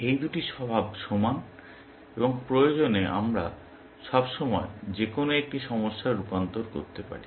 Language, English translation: Bengali, These two are equal in nature, and if necessary, we can always transform such a problem into that